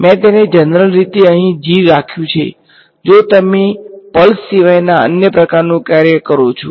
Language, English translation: Gujarati, I have kept it in general g over here in case which you some other kind of function other than pulse